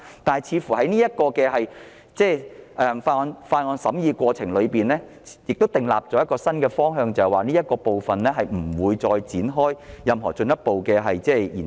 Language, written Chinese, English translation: Cantonese, 在這項附屬法例的審議過程中，亦訂立了一個新方向，就是不會再就這方案展開進一步研究。, In the scrutiny of the subsidiary legislation the Subcommittee has laid down a new direction and that is this option will not be further explored